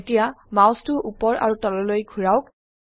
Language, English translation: Assamese, Now move the mouse left to right